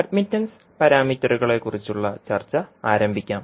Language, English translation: Malayalam, So, let us start our discussion about the admittance parameters